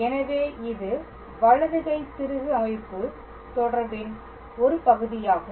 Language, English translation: Tamil, So, this is also part of that right handed screw system relation